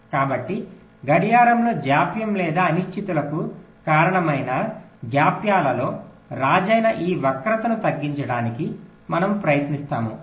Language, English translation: Telugu, so we will try to minimize this skew, this king of delays or uncertainties in the clock